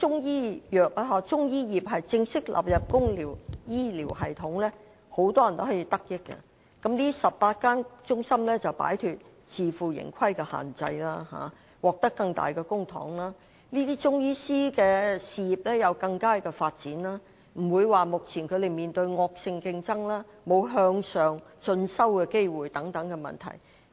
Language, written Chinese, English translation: Cantonese, 如果中醫業正式加入公營醫療系統，很多人也可以得益，而這18間中心也可擺脫自負盈虧的限制，獲得更多公帑，中醫師便能有較好事業發展，不用面對惡性競爭，更不愁沒有進修的機會。, If Chinese medicine can be formally incorporated into the public health care system many people can be benefited . If these 18 CMCTRs can be free from the self - financing restriction they may obtain more public funding . Without any malignant competition Chinese medicine practitioners can also have better career development and ample opportunities for further studies